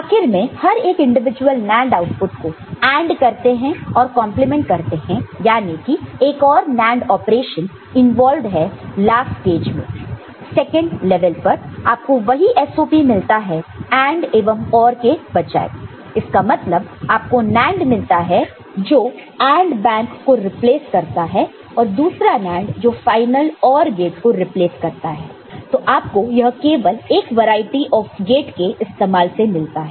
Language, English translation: Hindi, And ultimately all of them each individual NAND output are ANDed and complemented that means, another NAND operation is involved in the last stage the second stage, second level, and you get the same SOP instead of AND and OR that is this you are having a NAND replacing the AND bank and another NAND replacing the OR gate, the final OR gate ok